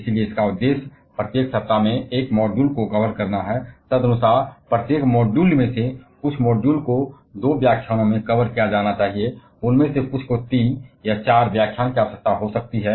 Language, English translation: Hindi, So, the objective is to cover one module in every week, accordingly each of the modules some of the modules rather it be covered in two lectures some of them may require three or four lectures